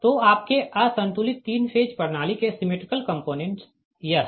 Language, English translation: Hindi, so symmetrical components of an your unbalanced three phase system